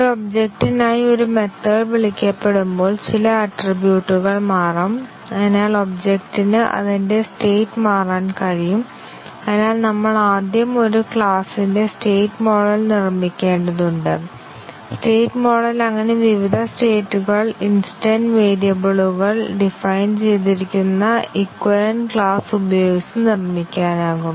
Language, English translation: Malayalam, Whenever a method is called for an object, some attribute may change and therefore, the object can change its state and therefore, we have to first construct the state model of a class and the state model can be thus different states can be constructed by using equivalence class is defined on the instance variables